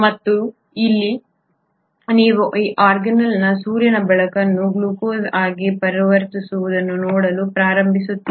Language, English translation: Kannada, And it is here that you start seeing in this organelle the conversion of sunlight into glucose